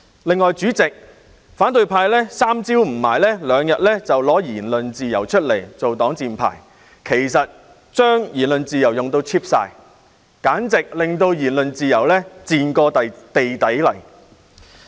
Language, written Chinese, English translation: Cantonese, 另外，代理主席，反對派經常把言論自由搬出來作為"擋箭牌"，把言論自由用到 cheap 了，令言論自由簡直"賤過地底泥"。, In addition Deputy President the opposition camp often uses freedom of speech as their shield making freedom of speech so cheap to the extent that freedom of speech has become shabby . Dr Fernando CHEUNG mentioned the Legislative Council Ordinance